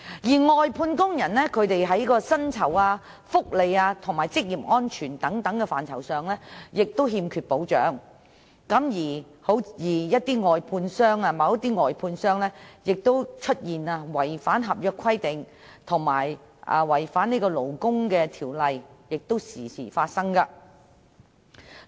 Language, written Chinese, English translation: Cantonese, 外判工人在薪酬、福利和職業安全等範疇均欠缺保障，而某些外判商違反合約規定或勞工法例，這些情況經常發生。, Outsourced workers lack protection in such areas as wages welfare and occupational safety and certain outsourced service contractors have breached the contract requirements or the labour law . Such cases happen from time to time